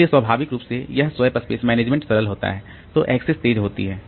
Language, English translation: Hindi, So, so, naturally this swap space management being simpler